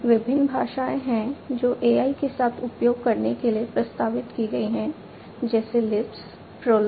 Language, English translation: Hindi, There have been different languages that have been proposed for use with AI like Lisp, PROLOG, etcetera